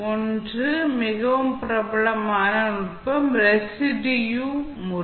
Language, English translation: Tamil, The one, the most popular technique is residue method